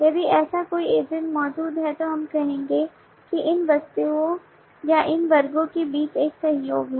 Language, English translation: Hindi, if such an agent exist then we will say that there is a collaboration between these objects or these classes